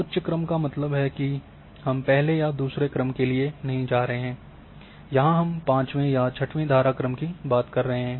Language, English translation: Hindi, So, higher order means that we are going for not first order, second order, may be 5,6 order streams here